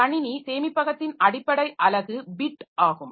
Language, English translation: Tamil, The basic unit of computer storage is bit